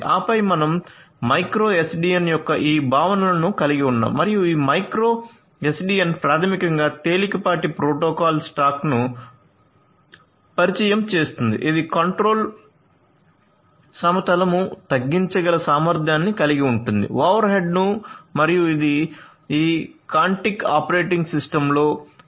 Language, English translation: Telugu, And then you have this contra you know the concepts of the micro SDN and this micro SDN basically introduces a lightweight protocol stack, it s a lightweight protocol stack that is capable of reducing the control plane overhead and it is based on the IEEE 802